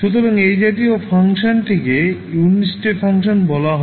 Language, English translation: Bengali, So, this kind of function is called unit step function